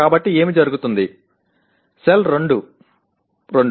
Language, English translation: Telugu, So what happens, the cell is 2, 2